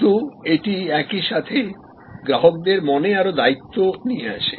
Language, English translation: Bengali, But, it also at the same time brings more responsibility in the customers mind